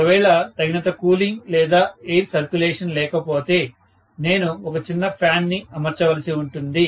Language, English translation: Telugu, So, if adequate cooling or circulation of air is not available, I might have to fit a small fan, right